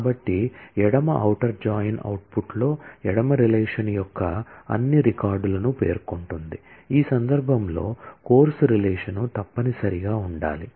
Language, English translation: Telugu, So, left outer join specifies that in the output all records of the left relation, in this case the course relation must feature